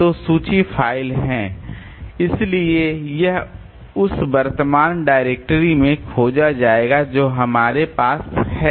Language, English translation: Hindi, So, list is the file so it is searched in the current directory that we have